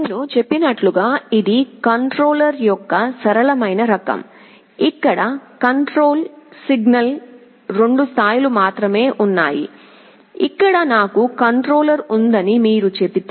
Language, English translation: Telugu, As I said this is the simplest type of controller, where the control signal has only 2 levels, if you say that here I have the controller